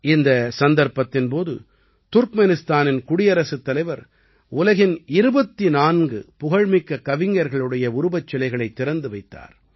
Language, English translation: Tamil, On this occasion, the President of Turkmenistan unveiled the statues of 24 famous poets of the world